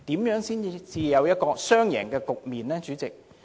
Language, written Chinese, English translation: Cantonese, 如何才有雙贏的局面，主席？, How can we have a win - win situation President?